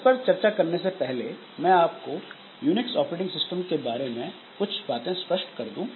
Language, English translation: Hindi, So, before coming to this, so let me clarify something with respect to Unix operating system, how this is shared memory is done